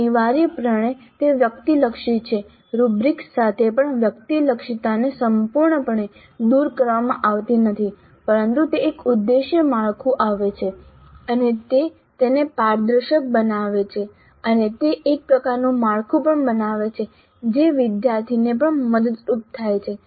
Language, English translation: Gujarati, Now essentially it is subjective, even with rubrics, subjectivity is not altogether eliminated but it does give an objective framework and it makes it transparent and it also creates some kind of a structure which is helpful to the student also